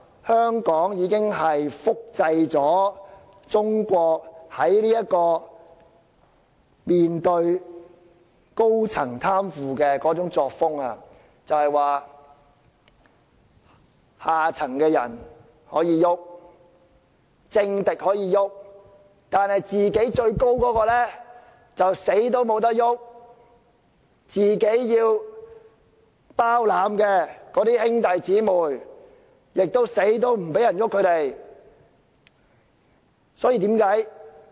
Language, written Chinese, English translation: Cantonese, 香港已經複製了中國面對高層貪腐的作風，即可以"動"下層的人，也可以"動"政敵，但最高位者卻不能"動"，甚至最高位者包攬的兄弟姊妹也無論如何不能"動"。, Hong Kong has copied the Chinese style of fighting corruption among its high ranking officials that is only officials in the lower ranks or political enemies can become the target but never the highest ranking officials not even relatives under their protection